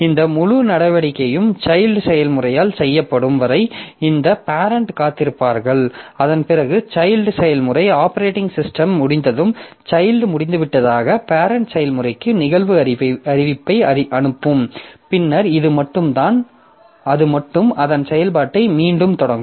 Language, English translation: Tamil, So, if this is there then the child this parent will wait till this entire operation is done by the child process and after that when the child process is over operating system will send an event notification to the parent process that the child is over and then only it will resume its operation